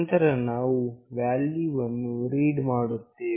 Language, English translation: Kannada, Then we are reading the value